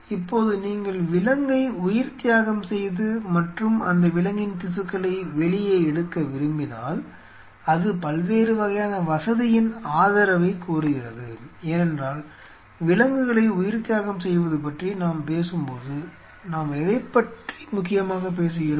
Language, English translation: Tamil, Now, if you want to sacrifice the animal and you want to pull the tissue out of that animal that demands different kind of facility support, because when we are talking about sacrificing the animal what we are essentially talking about